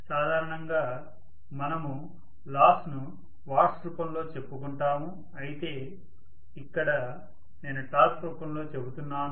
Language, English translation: Telugu, Normally we talk about the losses in the form of watts but here I am talking about it in the form of torque